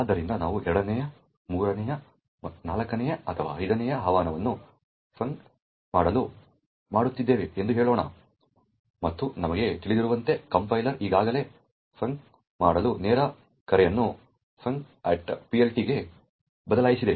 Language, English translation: Kannada, So, let us say we are making the 2nd, 3rd, 4th or 5th invocation to func and as we know the compiler has already replace the direct call to func to a call to func at PLT